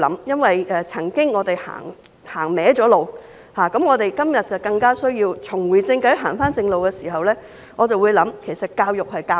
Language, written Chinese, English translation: Cantonese, 因為我們曾經走歪路，今天更需要重回正軌、走回正路的時間，我會想其實教育要教授甚麼？, As we have taken a wrong path before it is all the more necessary for us to get back on the right track today . When we are back on the right track I will contemplate this question what exactly should we teach in education?